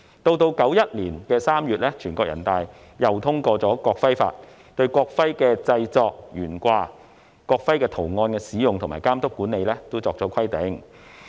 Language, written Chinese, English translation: Cantonese, 1991年3月，全國人大又通過《國徽法》，對國徽的製作、懸掛、國徽圖案的使用及監督管理等作出規定。, In March 1991 NPC further adopted the Law of PRC on the National Emblem to regulate the making and hanging of the national emblem as well as the use of the design of the national emblem and its supervision and administration